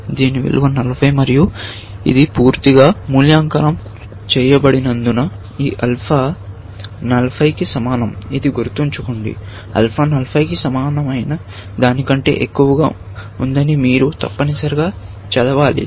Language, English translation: Telugu, Its value is 40 and since, this is completely evaluated, this alpha is equal to 40, which, remember, you must read as saying that alpha is greater than equal to 40, essentially